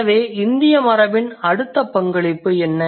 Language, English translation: Tamil, So, what is the next contribution of Indic tradition